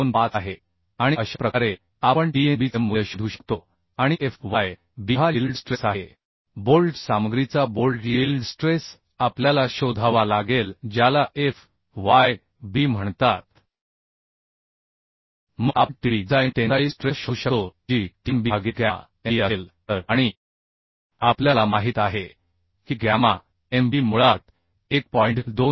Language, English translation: Marathi, 25 and this is how we can find out the value of Tnb and Fyb is the yield stress of the bolt yield stress of the bolt material we have to find out which is called fyb Then we can find out Tdb the design tensile force that will be Tnb by gamma mb So and we know gamma mb is basically 1